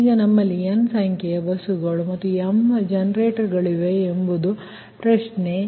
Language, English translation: Kannada, now question is that that instead of now we have n number of buses and m number of generators